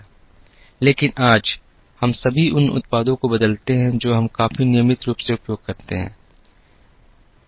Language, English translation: Hindi, But today, we all of us change the products that we use quite regularly